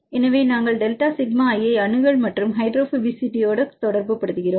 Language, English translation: Tamil, So, we relate delta sigma i with respect to accessibility and the hydrophobicity